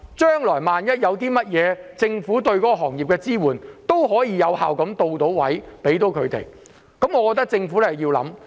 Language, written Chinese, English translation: Cantonese, 將來萬一有甚麼事，政府便可以有效到位地支援這些行業，我覺得政府真的要思考一下。, In the event of another crisis the Government will then be able to effectively provide support to these industries . I think the Government should really seriously think about this